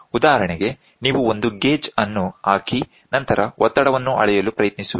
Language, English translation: Kannada, For example, you put a gauge and then you try to measure the pressure the full pressure